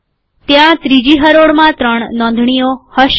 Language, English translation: Gujarati, There will be three entries in the second row